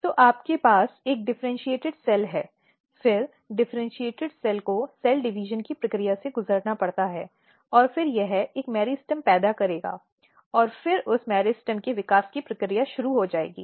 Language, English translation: Hindi, So, you have a differentiated cell then the differentiated cell has to undergo the process of cell division and then it will generate a kind of meristem, and then that meristem will start the process of development